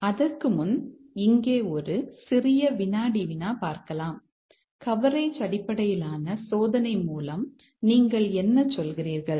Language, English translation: Tamil, But before that a small quiz here, what do you mean by coverage based testing